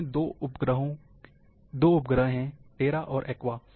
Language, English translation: Hindi, It is having two satellites,Terra and Aqua